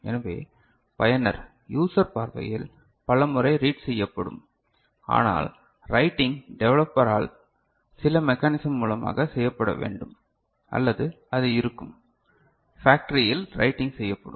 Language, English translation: Tamil, So, from the user point of view reading will be done multiple times, but writing is to be done by the developer, by certain mechanism or it will be, writing will be done in the factory end